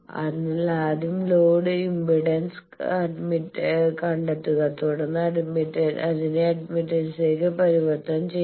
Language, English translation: Malayalam, So, again determine first the load impedance convert it to the admittance